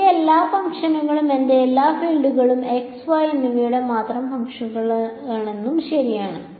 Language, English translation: Malayalam, So, it also means that all my functions all my fields are functions of only x and y right so ok